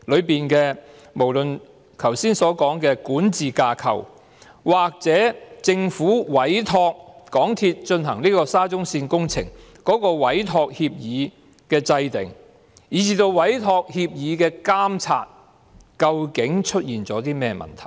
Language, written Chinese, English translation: Cantonese, 無論是剛才說的管治架構，或政府在委託港鐵公司進行沙中線工程的委託協議的制訂過程當中，以至對委託協議的監察，究竟是出現了甚麼問題？, What has gone wrong with the aforementioned governance structure or the formulation and monitoring of the Entrustment Agreement with which the Government entrusted the SCL works to MTRCL?